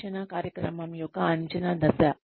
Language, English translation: Telugu, The assessment phase of a training program